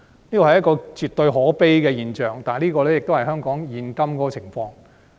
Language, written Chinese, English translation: Cantonese, 這是一種絕對可悲的現象，但卻是香港的現況。, Such a phenomenon is absolutely pitiful yet it is the current state of affairs in Hong Kong